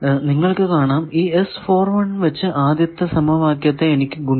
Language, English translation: Malayalam, Now you see that, if I want to simplify these equations